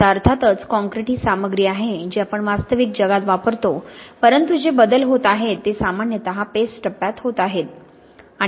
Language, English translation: Marathi, Now of course concrete is the material we use in the real world but the changes that are taking place are generally going on in the paste phase